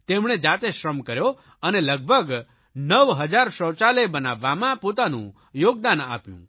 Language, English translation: Gujarati, They themselves put in physical labour and contributed significantly in constructing around 9000 toilets